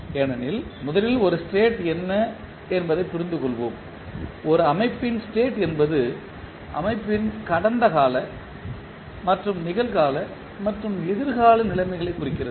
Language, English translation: Tamil, Because, first let us understand what is the state, state of a system refers to the past and present and future conditions of the system